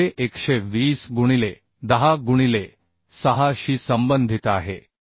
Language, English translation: Marathi, 7 is corresponding to 120 by 10 into 6 so 88